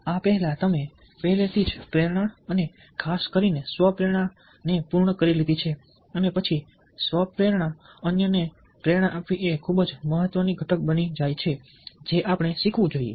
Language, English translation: Gujarati, before this ah, you have already completed motivation and ah, especially self motivation, and after self motivation, motivating others becomes a very, very important component that we must learn